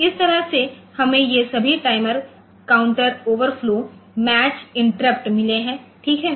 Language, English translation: Hindi, So, this way we have got all these timer counters overflow and the match interrupts ok